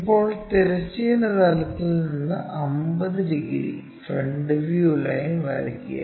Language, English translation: Malayalam, Now, draw a 50 degrees front view line from horizontal plane, from here